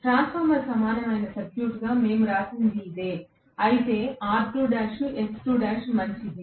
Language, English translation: Telugu, This is what we wrote as the transformer equivalent circuit, of course, R2 dash, X2 dash fine